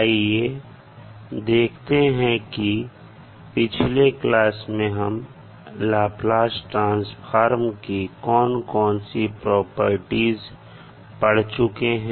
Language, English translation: Hindi, So let’s see what we discuss in the previous class related to properties of the Laplace transform